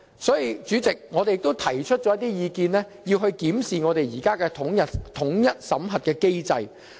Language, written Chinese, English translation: Cantonese, 所以，主席，我們亦提出了一些意見，要求檢視我們現行的統一審核機制。, So President we have also offered some recommendations to request a review on the existing unified screening mechanism